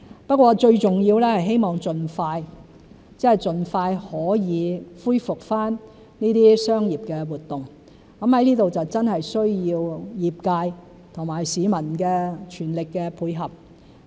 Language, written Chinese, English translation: Cantonese, 不過最重要的是希望盡快可以恢復這些商業活動，在這方面需要業界和市民的全力配合。, The most important thing is to resume commercial activities as soon as possible . For that we need the full cooperation of the industry and the public